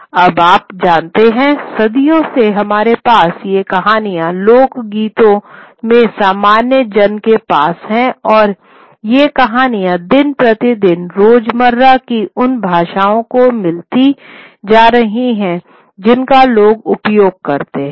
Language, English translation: Hindi, Now as we move on, you know, the centuries, we have these stories getting into folklore, people, within the general masses, and these stories would get into the day to day, everyday languages that people would be using